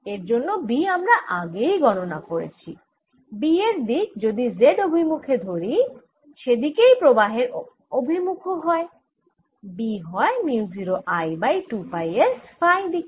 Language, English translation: Bengali, if i take this direction to b, the z direction in which the current is going, b is nothing but mu naught over 2 pi s